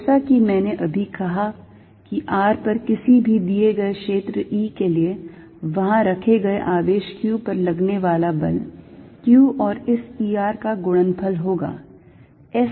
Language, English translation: Hindi, As I said is now that given any field E at r, the force on a charge q, put there is going to be q times this E r